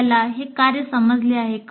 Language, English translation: Marathi, Do you understand the task